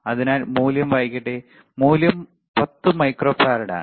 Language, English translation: Malayalam, So, let me read the value, the value is 10 microfarad